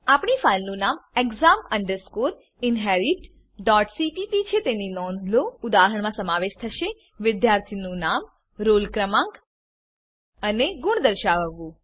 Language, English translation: Gujarati, Note that our file name is exam inherit.cpp The example involves to display the name, roll no and marks of the student